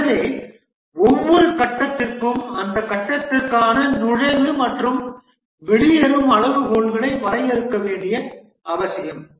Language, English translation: Tamil, So, for every phase it is necessary to define the entry and exit criteria for that phase